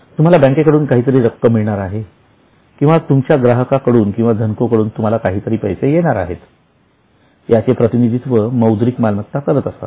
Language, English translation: Marathi, So, they represent something which you are going to receive from bank or something which you are going to receive from your customers or debtors